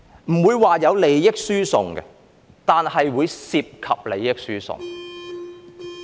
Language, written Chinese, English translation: Cantonese, 不會說有利益輸送，但會涉及利益輸送。, I will not say there is transfer of benefits but transfer of benefits will be involved